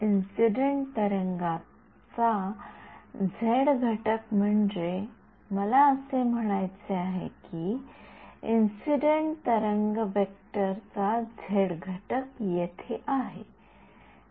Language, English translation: Marathi, k 1 z is the incident waves z component of the I mean, the z component of the incident wave vector, that is over here